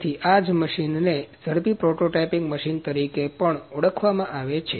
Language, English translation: Gujarati, So, that is why this machine is also known as rapid prototyping machine